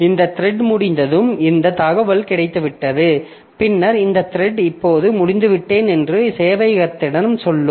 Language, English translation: Tamil, So, when this thread is over, so it has got this information, then this thread will be telling the, telling the server that, okay, now I am over